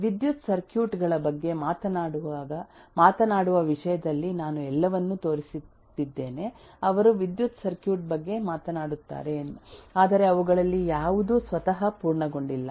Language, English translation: Kannada, In terms of talking about electrical circuits all the different examples that I was showing all of them talk of electrical circuit but none of them is complete in itself